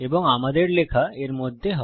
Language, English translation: Bengali, And our text goes in between here